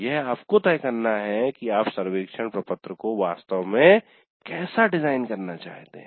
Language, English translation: Hindi, It is possible it is up to you to decide how exactly you would like to design the survey form